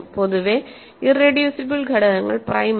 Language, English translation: Malayalam, In general irreducible elements are not prime